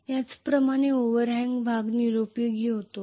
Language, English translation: Marathi, So this portion is known as the overhang portion